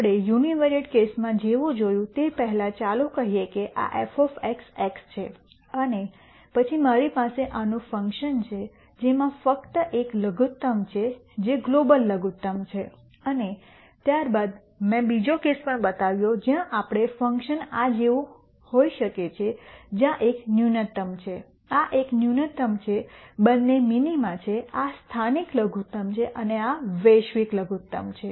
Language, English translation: Gujarati, Before we do that just like we saw in the univariate case, let us say this is f of x x and then I have a function like this which has only one minimum which is a global minimum and then I also showed another case where we have a function may be like this where this is one minimum this is one minimum both are minima this is a local minimum and this is a global minimum